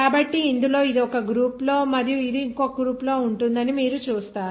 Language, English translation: Telugu, So in this, you will see this one is one group and this one is one group this group